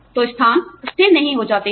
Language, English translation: Hindi, So, the place, does not become stagnant